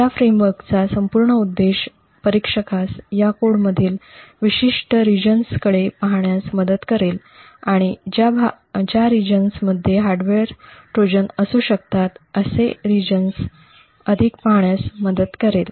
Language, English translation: Marathi, The whole objective of this framework is to aid the whole objective of this entire framework is to aid the tester to look at particular regions in this code and look more closely at these regions which could potentially have a hardware Trojan in them